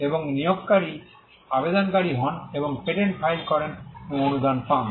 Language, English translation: Bengali, And the employer becomes the applicant and files the patent and gets a grant